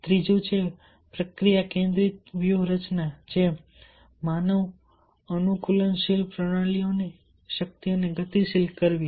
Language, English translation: Gujarati, third is process focused strategy, or mobilizing the power of human adaptational systems